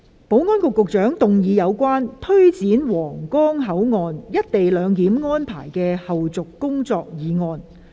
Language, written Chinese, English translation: Cantonese, 保安局局長動議有關推展皇崗口岸「一地兩檢」安排的後續工作的議案。, The Secretary for Security will move a motion on taking forward the follow - up tasks of implementing co - location arrangement at the Huanggang Port